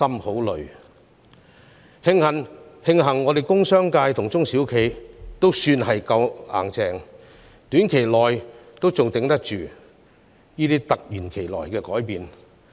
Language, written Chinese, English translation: Cantonese, 慶幸工商界和中小型企業也算堅強，在短期內仍能應付這些突如其來的改變。, Fortunately the industrial and commercial sector and the small and medium enterprises SMEs are tough enough to cope with these sudden changes in the short term